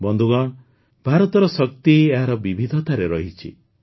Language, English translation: Odia, Friends, India's strength lies in its diversity